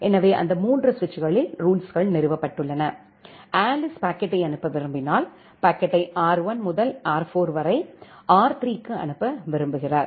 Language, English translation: Tamil, So, the rules are installed on that 3 switches and when Alice wants to forward the packet, Alice wants the packet to be forwarded from R1 to R4 to R3